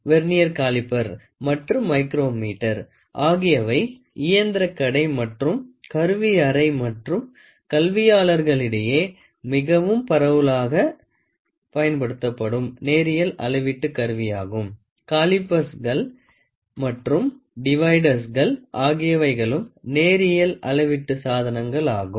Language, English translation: Tamil, Vernier caliper and micrometer are the most widely used linear measuring instruments in machine shop and in tool room as well as in academics; calipers and dividers, which are also linear measurement devices